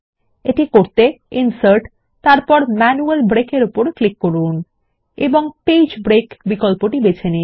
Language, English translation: Bengali, This done by clicking Insert gtgt Manual Break and choosing the Page break option